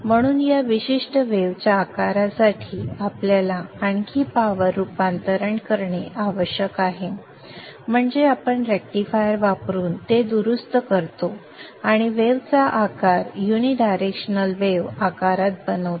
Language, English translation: Marathi, Therefore we need to do a further power conversion for this particular wave shape that is we rectify it using a rectifier and make the wave shape into a unidirectional wave shape